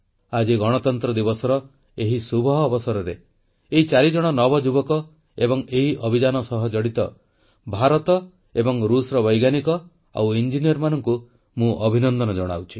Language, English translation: Odia, On the auspicious occasion of Republic Day, I congratulate these four youngsters and the Indian and Russian scientists and engineers associated with this mission